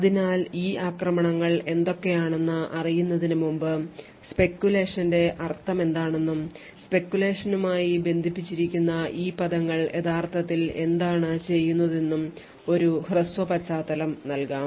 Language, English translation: Malayalam, So before we go into what these attacks are, so let us have a brief background into what speculation means and what these terms connected to speculation actually do